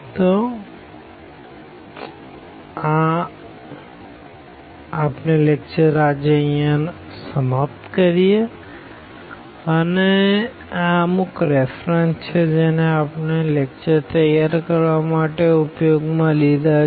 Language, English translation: Gujarati, So, these are the references we have used for the computation for this preparation of the lecture and